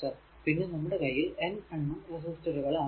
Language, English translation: Malayalam, And if you have a n number of resistor Rn